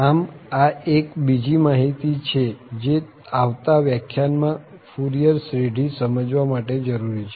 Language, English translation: Gujarati, So, that is another information which we need here for explaining the Fourier series, in the next lecture indeed